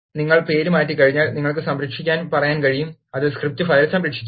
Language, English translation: Malayalam, Once you rename, you can say save, that will save the script file